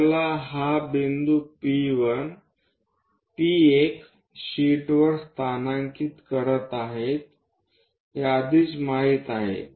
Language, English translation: Marathi, Already we know this point P1 locate it on the sheet